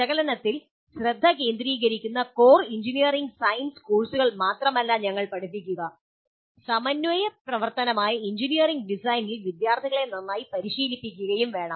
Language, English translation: Malayalam, We should not only teach core engineering science courses which focus on analysis, but we should also train the students well in engineering design, which is a synthesis activity